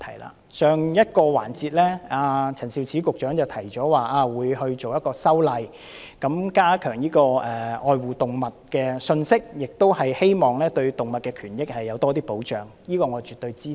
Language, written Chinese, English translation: Cantonese, 在上一個辯論環節，陳肇始局長提及會作出修例，加強愛護動物的信息，亦希望藉此對動物權益有更多保障，這方面我絕對支持。, In the previous debate session Secretary Prof Sophia CHAN mentioned that legislative amendments would be introduced to strengthen the message of caring for animals in the hope of providing greater protection to animal rights